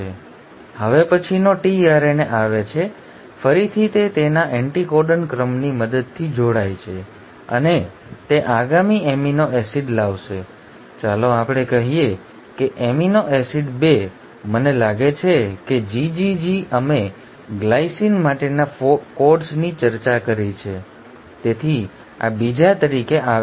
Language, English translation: Gujarati, Now the next tRNA comes, again it binds with the help of its anticodon sequence, and it will bring in the next amino acid, let us say amino acid 2; I think GGG we discussed codes for glycine so this comes in as the second